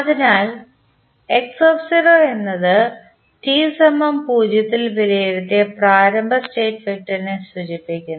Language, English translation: Malayalam, So, x at time t is equal to 0 denotes the initial state vector evaluated at time t is equal to 0